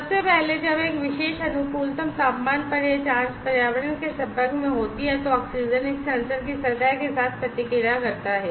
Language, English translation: Hindi, First of all, when at a particular optimum temperature this probe is exposed to the environment the oxygen reacts with the surface of this sensor